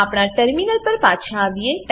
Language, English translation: Gujarati, Switch back to our terminal